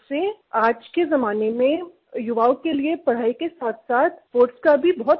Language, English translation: Hindi, For the youth in today's age, along with studies, sports are also of great importance